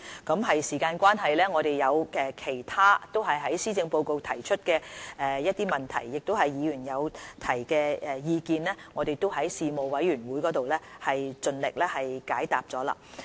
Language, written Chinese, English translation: Cantonese, 由於時間關係，其他在施政報告提出的政策及議員的問題、意見，我們已在立法會事務委員會盡力解答。, Due to the time constraint we have tried our best to explain in the relevant panels of the Legislative Council other policy proposals in the Policy Address as well as answering Members questions and views